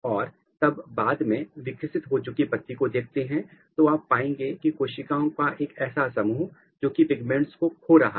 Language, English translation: Hindi, And, then later on at the mature leaf if you see there is a patch of cells which are losing these things